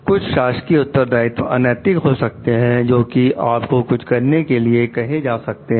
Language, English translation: Hindi, Some official responsibility may be even immoral like you are asked to do something